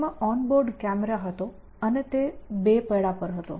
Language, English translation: Gujarati, It had a on board camera and it was on 2 wheels